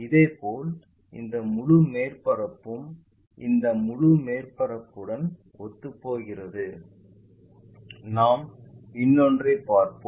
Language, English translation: Tamil, Similarly, this the entire surface maps to this entire surface and we will see another one